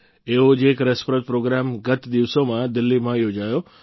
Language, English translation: Gujarati, One such interesting programme was held in Delhi recently